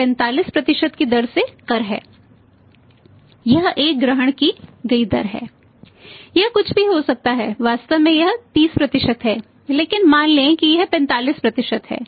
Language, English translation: Hindi, It is a assumed rate it can be anything it actually it is 30% but it is say for example let us assume there is 45%